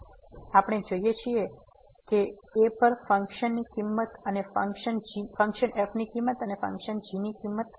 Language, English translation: Gujarati, So, we know that the value of the function at ; and the value of the function